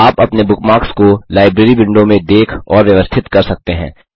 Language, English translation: Hindi, You can also view and arrange your bookmarks in the Library window